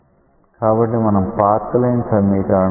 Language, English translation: Telugu, So, let us write the path line